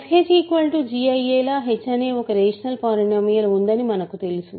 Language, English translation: Telugu, So, we know that there is a rational polynomial h such that f h is g